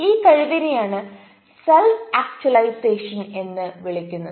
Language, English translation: Malayalam, that is called self actualization